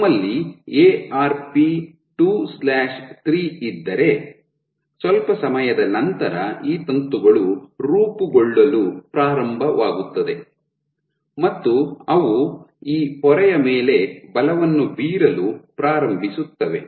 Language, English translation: Kannada, So, if we have Arp 2/3, what you will see is after some time these filaments will begin to form and they will start exerting force on this membrane